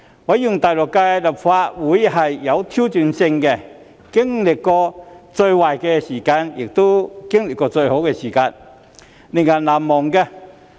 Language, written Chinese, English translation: Cantonese, 我認為第六屆立法會是有挑戰性的，經歷過最壞的時間，亦經歷過最好的時間，令人難忘。, In my view the Sixth Legislative Council has been challenging . It has experienced the worst of times and also the best of times and the process can hardly be forgettable